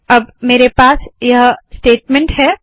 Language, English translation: Hindi, So I have this statement here